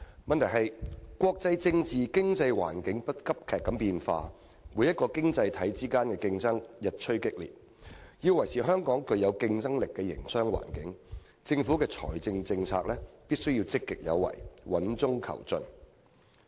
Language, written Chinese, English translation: Cantonese, 問題是國際政治和經濟環境急劇變化、各個經濟體之間的競爭日趨激烈，要維持香港具有競爭力的營商環境，政府的財政政策必須積極有為、穩中求進。, But the problem is that given the rapidly changing international political and economic situations as well as the increasingly fierce competition among the worlds economies the Government must adopt a sound progressive and proactive fiscal policy so that Hong Kongs business environment can remain competitive